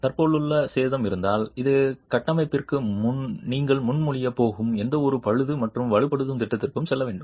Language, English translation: Tamil, If there is existing damage that must go into any repair and strengthening program that you are going to be proposing for the structure